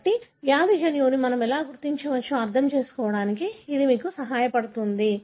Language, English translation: Telugu, So this is, sort of helps you to understand how we can identify the disease gene